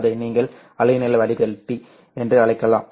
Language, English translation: Tamil, You can so this is called as a wavelength filter